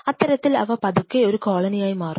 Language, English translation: Malayalam, They are slowly form in a colony